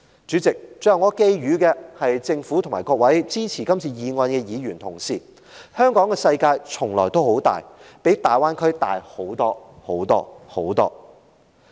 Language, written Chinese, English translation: Cantonese, 主席，最後我寄語政府和各位支持原議案的議員：香港的世界從來都很大，比大灣區大很多很多。, President last of all I would like to tender a piece of advice to the Government and Members who support the original motion The world of Hong Kong has always been very big and is much larger than that of the Greater Bay Area